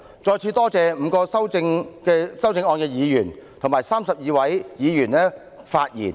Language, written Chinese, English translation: Cantonese, 再次感謝5位提出修正案的議員，以及32位發言的議員。, I thank again the five Members who have proposed amendments and the 32 Members who have spoken